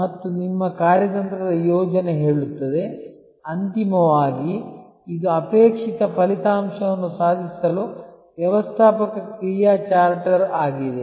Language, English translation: Kannada, And your strategic plan will say, that ultimately this is the managerial action charter to achieve desired outcome